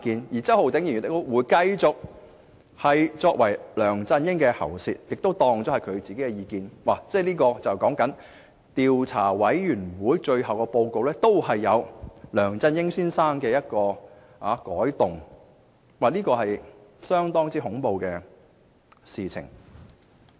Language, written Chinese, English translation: Cantonese, 而周浩鼎議員亦會繼續充當梁振英的喉舌，把其意見當作是自己的意見，連專責委員會的最終報告，也任由梁振英先生改動，這是相當恐怖的事情。, And Mr Holden CHOW would continue to act like the mouthpiece of LEUNG Chun - ying taking LEUNGs views as if they were his own . Mr LEUNG Chun - ying would even make amendments to the final report of the Select Committee at will which would be a rather frightening move